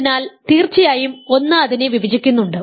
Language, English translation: Malayalam, So, certainly 1 divides it right